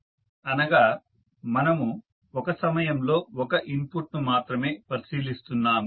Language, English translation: Telugu, So, we are considering one input at a time